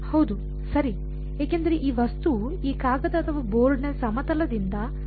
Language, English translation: Kannada, Yes right, because this object extents infinitely out of the plane of this paper or board